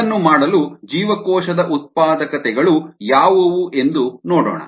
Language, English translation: Kannada, to do that, let us see what the cell productivities are